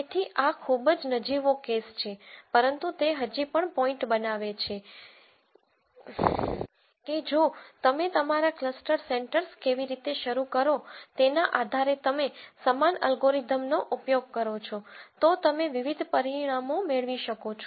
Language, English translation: Gujarati, So, this is a very trivial case, but it just still makes the point that if you use the same algorithm depending on how you start your cluster centres, you can get different results